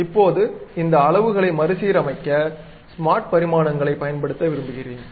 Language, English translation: Tamil, Now, I would like to use smart dimensions to realign these numbers